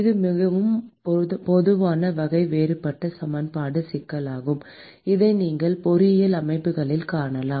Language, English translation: Tamil, It is a very, very common type of differential equation problem that you will see in many, many engineering systems